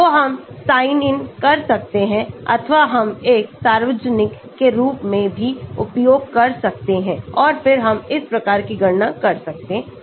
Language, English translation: Hindi, so we can sign in or we can use as a public also and then we can do this type of calculations